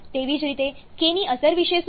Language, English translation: Gujarati, Similarly, what about the effect of k